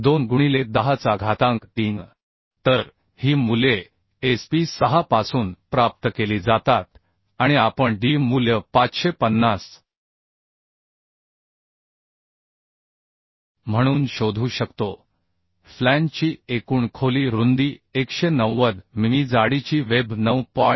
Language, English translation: Marathi, 2 into 10 to the 3 So these values are obtained from sp6 right and also we could find out D value as 550 the overall depth width of flange 190 mm thickness of the web 9